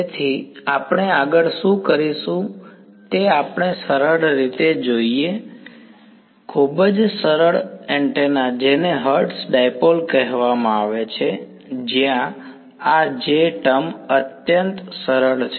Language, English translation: Gujarati, So, what we will do next is we look at a simple; very very simple antenna which is called a Hertz Dipole where this J term is extremely simple ok